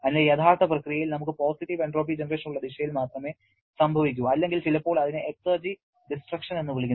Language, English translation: Malayalam, So, real process can proceed only in the direction in which you will be having a positive entropy generation or exergy destruction